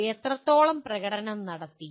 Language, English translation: Malayalam, To what extent you have performed